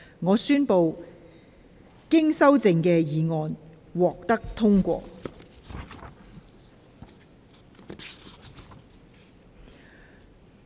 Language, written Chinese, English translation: Cantonese, 我宣布經修正的議案獲得通過。, I declare the motion as amended passed